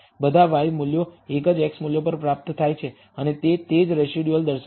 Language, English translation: Gujarati, All the y values are obtained at a single x value and that is what the residuals are also showing